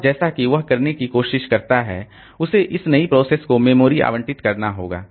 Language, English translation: Hindi, And as it tries to do that, it has to allocate memory to this new processes that have been introduced